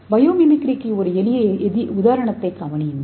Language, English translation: Tamil, So let us see a simple example for biomimicry